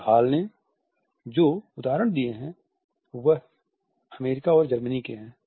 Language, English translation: Hindi, And the examples which Hall has put across is that of the USA and Germany